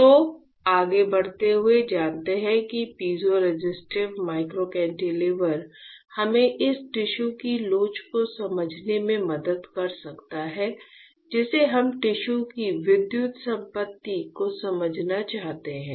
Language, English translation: Hindi, So, moving forward once we know, the, know that piezoresistive microcantilever can help us to understand the elasticity of the tissue we want to understand the electrical property of tissue